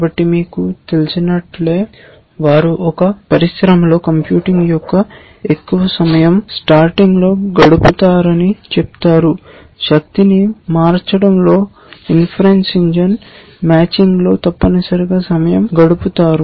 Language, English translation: Telugu, So, just like you know they say in an industry that most of the time of computing is spent in sorting for example, most of the time in power changing inference engine is spent in matching essentially